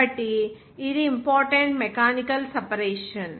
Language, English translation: Telugu, So, these are important mechanical separation